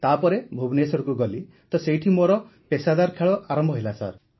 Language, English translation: Odia, Then after that there was a shift to Bhubaneswar and from there I started professionally sir